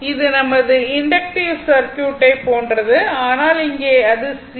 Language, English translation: Tamil, It is same like your inductive circuit, but here it is C